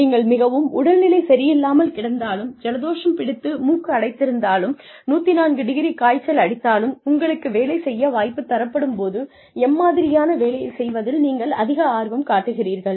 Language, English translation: Tamil, Despite being so sick, you know, despite having a clogged nose, and a 104 degree temperature, if given an opportunity, what kind of work, would you feel, most interested in doing